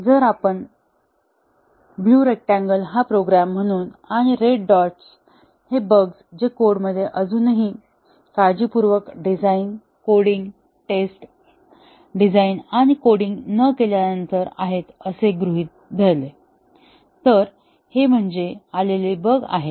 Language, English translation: Marathi, If we imagine this blue rectangle as the program and the red dots as the bugs that have remained in the code after all the careful design, coding, testing, not testing, design and coding; these are the bugs that are remaining